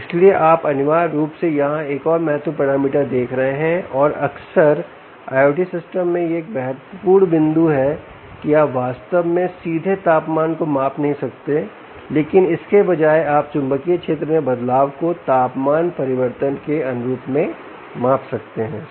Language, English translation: Hindi, so you are essentially looking at another important parameter here, and often in i o t systems, this is a very important point: that you might not really measure the the temperature directly, but instead you may measure change in change in magnetic field corresponds to change in temperature